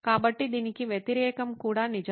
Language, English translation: Telugu, So the opposite is also true